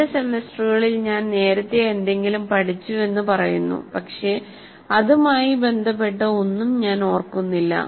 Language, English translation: Malayalam, Somebody says, I have learned something in the two semesters earlier and I don't remember anything related to that